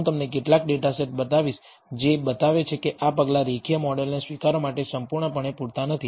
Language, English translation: Gujarati, I will show you some data set which shows that that these measures are not completely sufficient to accept a linear model